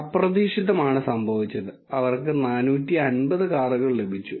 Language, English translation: Malayalam, What happened is unexpectedly, they got 450 cars